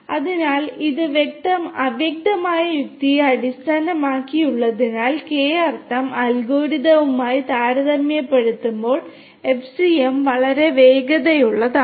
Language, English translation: Malayalam, So, because it is based on fuzzy logic FCM is extremely faster, much faster compared to the K means algorithm